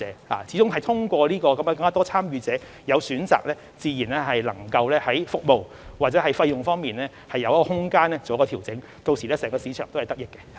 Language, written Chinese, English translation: Cantonese, 我們希望通過增加市場的參與者，在有選擇的情況下，讓服務和費用有調整的空間，令整個市場得益。, It is hoped that by increasing the number of market participants the availability of choices in the market will provide room for service improvement and fee reduction that are beneficial to the entire market